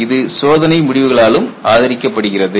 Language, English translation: Tamil, Later on it was supported by experimental result